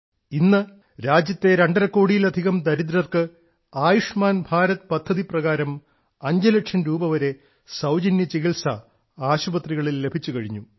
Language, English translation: Malayalam, Today, more than two and a half crore impoverished people of the country have got free treatment up to Rs 5 lakh in the hospital under the Ayushman Bharat scheme